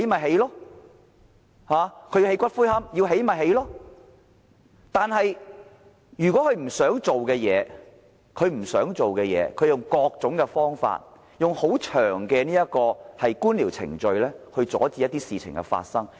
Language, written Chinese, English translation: Cantonese, 不過，對於一些政府不想做的事，當局便會以各種方法，利用冗長的官僚程序來阻止這些事情發生。, However when it comes to issues the Government does not want to pursue the authorities will resort to all kinds of tactics as well as time - consuming red tape to prevent them from happening